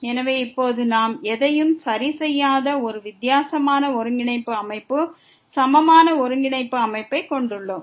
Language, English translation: Tamil, So, now, we have a different coordinate system equivalent coordinate system where we have not fixed anything